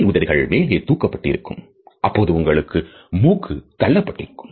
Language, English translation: Tamil, The upper part of the lip will be pulled up, which basically causes your nose to flare out a little bit